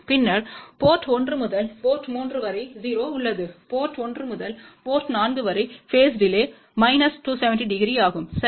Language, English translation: Tamil, Then from port 1 to port 3 there is a 0; then from port 1 to port 4 the phase delay is minus 270 degree ok